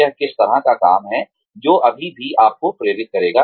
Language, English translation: Hindi, What kind of work is it, that will still motivate you